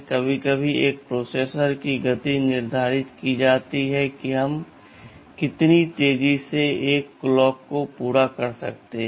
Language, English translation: Hindi, The clock frequencyS sometimes the speed of a processor is determined by how fast we can make a clock